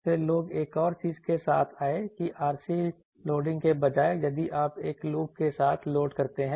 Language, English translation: Hindi, Then people came up with another thing that instead of RC loading, if you load with a loop